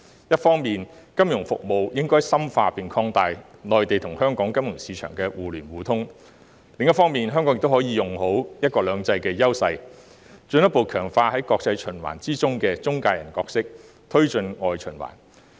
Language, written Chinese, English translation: Cantonese, 一方面，金融服務應該深化並擴大內地與香港金融市場互聯互通；另一方面，香港可以利用"一國兩制"的優勢，進一步強化在國際循環中的中介人角色，推進外循環。, While financial services should seek to deepen and widen mutual access between the financial markets of Hong Kong and the Mainland Hong Kong may also capitalize on the advantages of one country two systems to further consolidate its position as an intermediary in the international circulation and promote external circulation